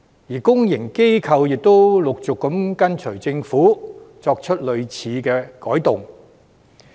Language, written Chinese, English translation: Cantonese, 而公營機構亦陸續跟隨政府，作出類似改動。, Public organizations have followed this practice and made similar revisions